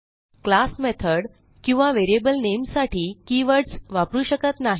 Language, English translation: Marathi, We cannot use keywords for our class, method or variable name